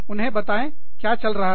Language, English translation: Hindi, Tell them, what is going on